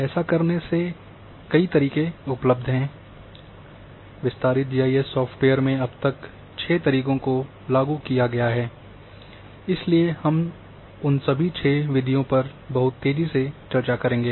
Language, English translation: Hindi, There are several methods which are available, 6 methods so far have been implemented in extended GIS software’s so we will discuss all those 6 methods very quickly